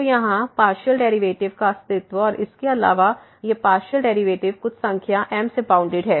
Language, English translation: Hindi, So, the existence of the partial derivative here and moreover, these partial derivatives are bounded by some number here